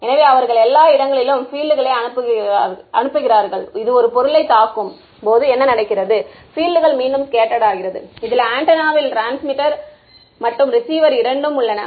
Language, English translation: Tamil, So, they are sending fields everywhere, and what happens is when it hits this object right some of the fields will get scattered back, and this antenna both transmitter and receiver both are there